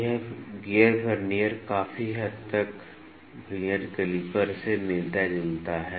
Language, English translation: Hindi, This gear Vernier is very similar to the Vernier calliper